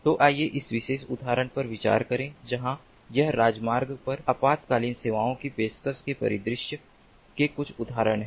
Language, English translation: Hindi, so let us consider this particular example where it is some, some sort of a scenario of ah offering emergency services on the highway